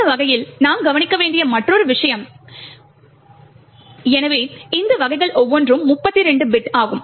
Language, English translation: Tamil, Another thing to note is that type, so each of these types is of 32 bit